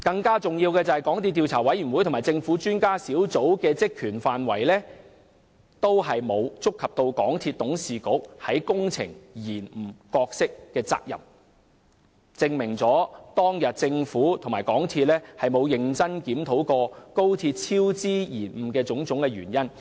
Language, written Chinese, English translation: Cantonese, 更重要的是，港鐵公司的調查委員會和政府專家小組的職權範圍，均沒有觸及港鐵公司董事局在高鐵工程延誤上的角色和責任，證明政府和港鐵公司沒有認真檢討高鐵工程超支延誤的種種原因。, What is more important is that the terms of reference for the investigation committee of MTRCL and the expert panel of the Government did not cover the role and responsibility of the Board of MTRCL regarding the delays in the XRL project . This is proof that the Government and MTRCL did not seriously review the causes of the cost overruns and delays in the XRL project